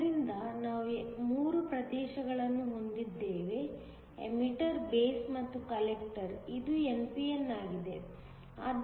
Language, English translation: Kannada, So, we have 3 regions and emitter, a base and a collector; this is an n p n